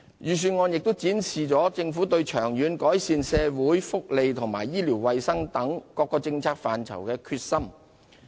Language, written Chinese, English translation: Cantonese, 預算案亦展示政府對長遠改善社會福利及醫療衞生等政策範疇的決心。, The Budget also demonstrates the Governments determination to improve such policy areas as social welfare and health care in the long run